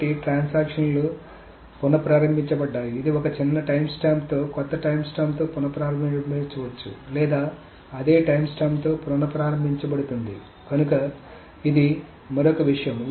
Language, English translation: Telugu, So transactions are restarted, it may be restarted with a younger time stamp, with a new timesterm, or restarted with the same timestamp